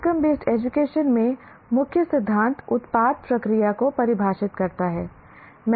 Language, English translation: Hindi, In outcome based education, the key principle is product defines the process